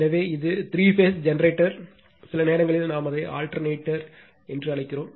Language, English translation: Tamil, So, this is a three phase generator, sometimes we call it is your what we call it is alternator